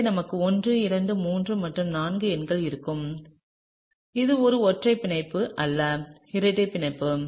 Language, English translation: Tamil, So, we will have numbering 1 2 3 and 4, this is a single bond not a double bond, okay